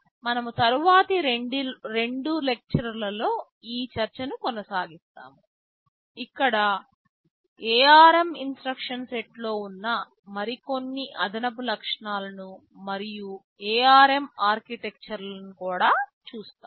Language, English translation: Telugu, We shall be continuing this discussion over the next couple of lectures where we shall be looking at some of the more additional features that are there in the ARM instruction set and also the ARM architectures